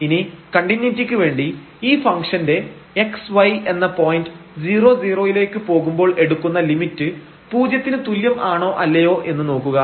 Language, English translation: Malayalam, And, now for continuity we have to take the limit as x y goes to 0 0 of this function whether it is equal to 0 or not